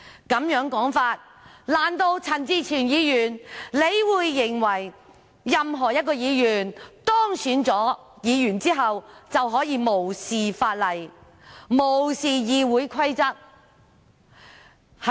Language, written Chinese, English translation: Cantonese, 按這種說法，難道陳志全議員認為任何一位議員當選後，便可以無視法例、無視議會規則？, According to this argument does Mr CHAN Chi - chuen think that any Member elected may ignore the law and Council order?